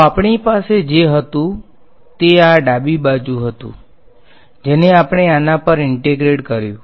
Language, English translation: Gujarati, So, what we had, this was the left hand side right which we had integrated over this